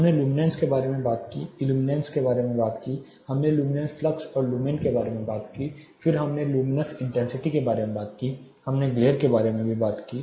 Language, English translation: Hindi, We talked about illuminance luminance we talked about luminous flux lumens then we talked about luminous intensity we talked about glare